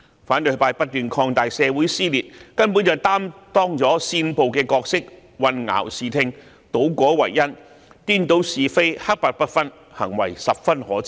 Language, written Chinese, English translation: Cantonese, 反對派不斷擴大社會撕裂，根本是擔當了煽暴的角色，混淆視聽，倒果為因，顛倒是非，黑白不分，行為十分可耻。, Opposition Members have kept widening the rift in society and have actually incited violence . They have made confusing remarks turned the consequences into the cause reversed right and wrong and confused black and white; their behaviour is utterly despicable